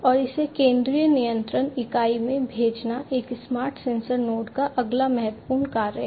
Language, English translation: Hindi, And sending it to the central control unit is the next important function of a smart sensor node